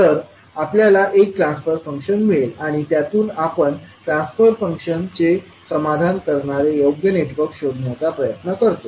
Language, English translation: Marathi, We will get one transfer function and from that we try to find out the suitable network which satisfy the transfer function